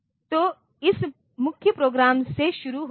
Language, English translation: Hindi, So, from this main program starts